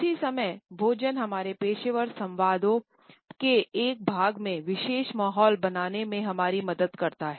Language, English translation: Hindi, At the same time food helps us to create a particular ambiance as a part of our professional dialogues